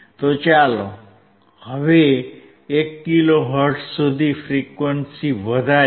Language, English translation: Gujarati, So now, let us keep increasing the frequency till 1 kilo hertz